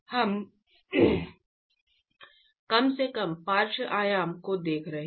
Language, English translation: Hindi, We are looking at the least lateral dimension